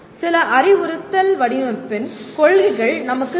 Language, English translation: Tamil, And we need some principles of instructional design